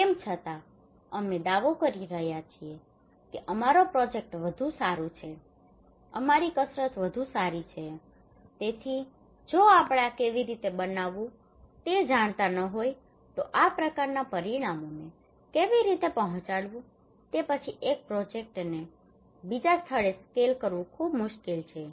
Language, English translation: Gujarati, Nevertheless, we are claiming that our project is better our exercise is better so if we do not know how to make this one how to deliver this kind of outcomes then it is very difficult to scale up one project to another place